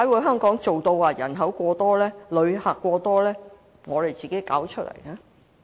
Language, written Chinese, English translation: Cantonese, 香港人口過多、旅客過多，是我們自己一手造成。, The problem of Hong Kong being overpopulated and having too many Mainland visitors is of our own making